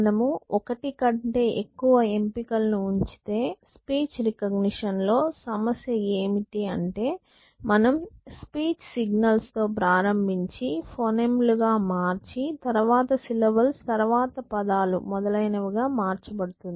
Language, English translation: Telugu, So, if you can keep more than one option, so what is the problem in speak recognition that you start with the speak signal then converted into phonemes, then syllabus then words and so on